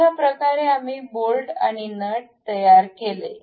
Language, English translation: Marathi, This is the way bolt and nut we constructed